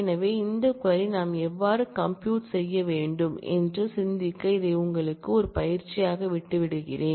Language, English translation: Tamil, So, I leave this as an exercise to you, to think over as to how we can actually compute this query